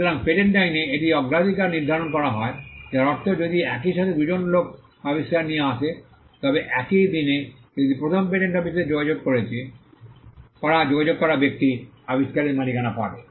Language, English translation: Bengali, So, this is how priority is determined in patent law which means if two people simultaneously came up with an invention say on the same day the person who approached first the patent office will get the ownership over the invention